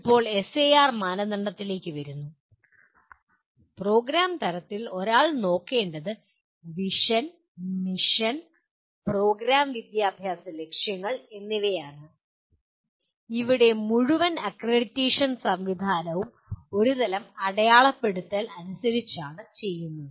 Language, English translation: Malayalam, Now coming to SAR criteria, at the program level what one has to look at is Vision, Mission and Program Educational Objectives have to be written and here the whole accreditation is done as per some kind of a marking system